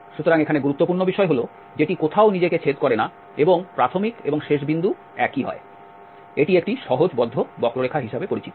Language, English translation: Bengali, So, the important point here is that which does not intersect itself anywhere and the initial and the end points are the same, this is known as a simple close curve